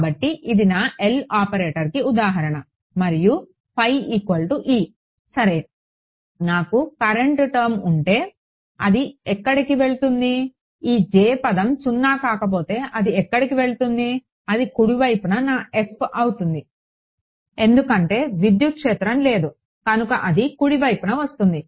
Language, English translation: Telugu, So, this is an example of my L operator and this is my phi ok, if I had a current term where do it go; this J term it is a non zero where do it go it would be my f on the right hand side right because there would be no electric field or anything it would come on the right hand side